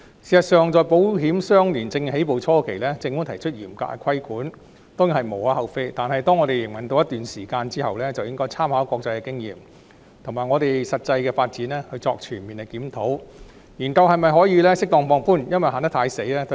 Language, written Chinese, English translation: Cantonese, 事實上，保險相連證券業務在香港起步初期，政府提出嚴格的規管當然是無可厚非，但當有關業務營運了一段時間後，政府便應參考國際經驗及我們的實際發展作出全面檢討，研究是否可以適當放寬有關規管。, Offenders will be subject to criminal penalties . In fact it is definitely understandable for the Government to introduce stringent regulations on ILS business when it is at an early stage of development in Hong Kong but after it has operated for a period of time the Government should conduct a comprehensive review to study the possibility of suitably relaxing the relevant regulations with reference to international experience and our actual development